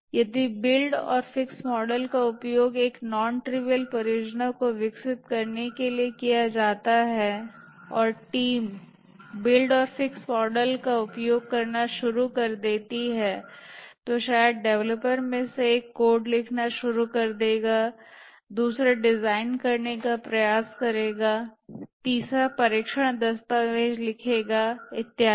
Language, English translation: Hindi, If the build and fixed model is used for developing a non trivial project and a team starts using the build and fix model, then maybe one of the developers will start writing the code, another will try to design, the third one write to that do the test document and so on another may define the I